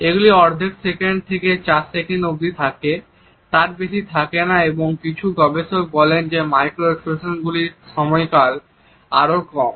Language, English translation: Bengali, They last not more than half a second up to 4 seconds and some researchers say that the duration of micro expressions is even less